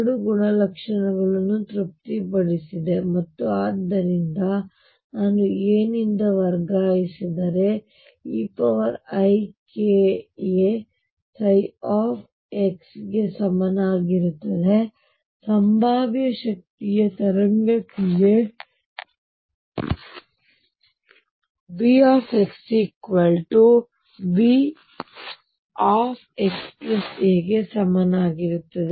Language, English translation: Kannada, Has satisfy both the properties, and therefore I am going to have psi if I shift by a is going to be equal to e raise to i k a psi of x, for a wave function in a potential energy V x equals V x plus a